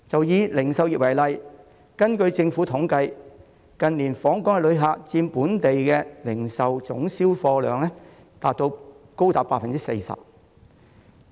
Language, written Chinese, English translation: Cantonese, 以零售業為例，根據政府統計，近年訪港旅客的開支佔本地零售總銷貨量高達 40%。, According to government statistics spending by visitors to Hong Kong has accounted for as high as 40 % of the total volume of domestic retail sales in recent years